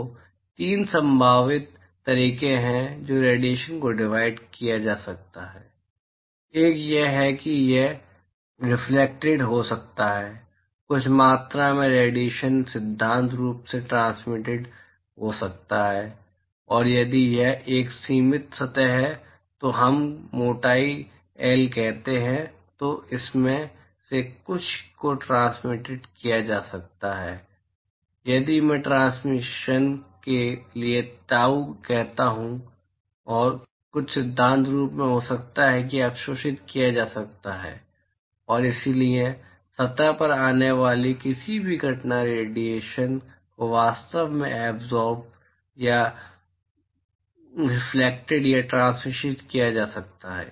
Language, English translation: Hindi, So, there are 3 possible ways in which the radiation can be split; one is it could be reflected, some amount of radiation can in principle be reflected and if it is a finite surface of let us say thickness L, then some of it could be transmitted if I say tau for transmission and some of it could in principle be absorbed and so whatever incident radiation that comes in to a surface can actually be absorbed or reflected or transmitted